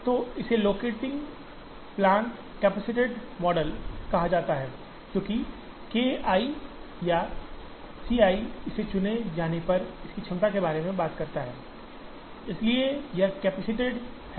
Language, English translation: Hindi, So, this is called locating plants capacitated model, because K i or C i talks about the capacity of this when it is chosen, so it is capacitated